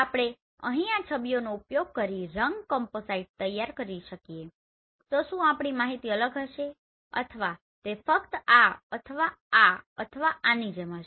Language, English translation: Gujarati, So in case if we can generate a color composite using these here images whether our information will be different or it will remain like only like this or this or this